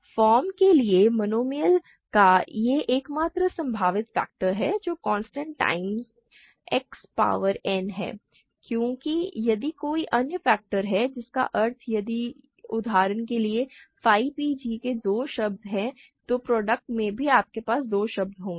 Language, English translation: Hindi, This is the only possible factorization of a monomial of the form a constant times X power n because if there is any other factorization that means, if for example, phi p g has two terms then in the product also you will have two terms